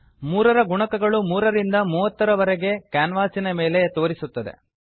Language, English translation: Kannada, Multiples of 3 from 3 to 30 are displayed on the canvas